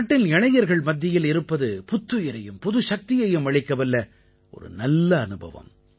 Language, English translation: Tamil, To be amongst the youth of the country is extremely refreshing and energizing